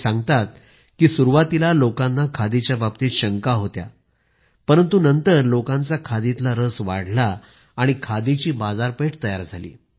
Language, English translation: Marathi, He narrates that initially the people were wary of khadi but ultimately they got interested and a market got ready for it